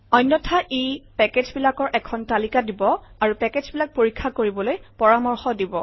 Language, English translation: Assamese, Otherwise what it will do is, it will give a list of packages and it will recommend the packages to be checked